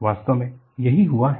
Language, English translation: Hindi, In fact, that is what has happened